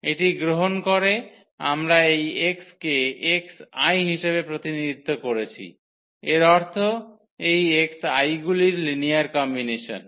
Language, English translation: Bengali, So, by taking this we have represented this x in terms of the x i’s; that means, the linear combination of these x i’s